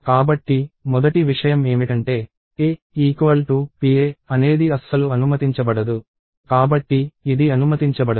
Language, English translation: Telugu, So, the first thing is that a equals pa is not permitted at all, so, this is not permitted